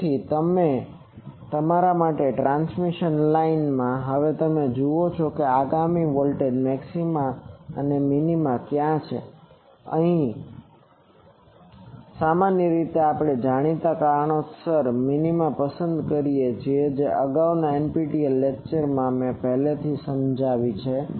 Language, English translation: Gujarati, So, for that you in the transmission line you now see where is the next voltage maxima or minima, generally we prefer minima for the known reasons I have already explained earlier in earlier NPTEL lectures